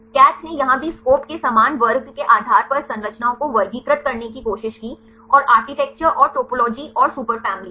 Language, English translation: Hindi, CATH here also they tried to classify the structures based on the class similar to SCOP, and the architecture and the topology and the superfamily